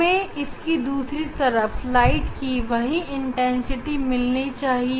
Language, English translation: Hindi, I should get the same intensity of light on the other side